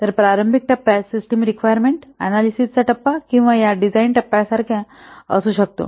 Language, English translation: Marathi, So during the early phase may be like a system requirement, system requirement analysis phase or this design phase